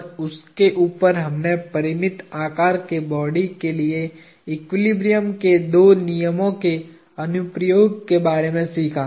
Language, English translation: Hindi, And on top of that we learned the application of the two laws of equilibrium for finite sized bodies